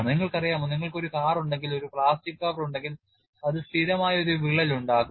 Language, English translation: Malayalam, That is very obvious, you know if you have a car and if you have a plastic cover to that, it will invariably develop a crack